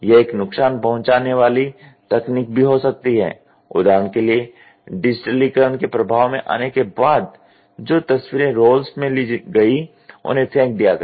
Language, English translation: Hindi, It can be even a disruptive technology; for example, after the digitisation coming into effect the photos which were taken in roles were thrown off